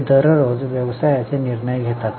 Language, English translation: Marathi, They take day to day business decisions